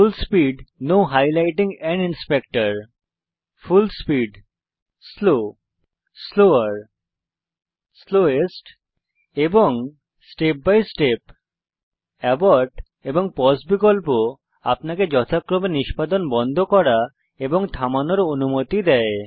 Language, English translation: Bengali, Full speed, Full speed, Slow, Slower, Slowest and Step by Step Abort and pause options allow you to stop and pause the executions respectively